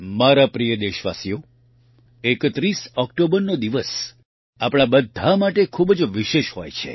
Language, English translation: Gujarati, My dear countrymen, 31st October is a very special day for all of us